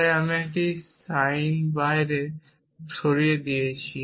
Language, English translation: Bengali, So, I have moved a or sign outside